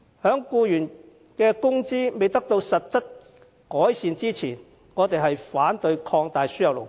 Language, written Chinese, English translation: Cantonese, 由於僱員工資未能得到實質改善，我們反對擴大輸入勞工。, Given that the wages of employees have not seen any substantial improvement we oppose the expansion of importation of labour